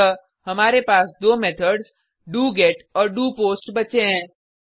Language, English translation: Hindi, So we are left with two methods doGet and doPost